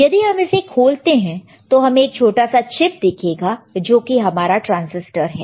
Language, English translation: Hindi, So if you open this can, you will find a small chip which is your transistor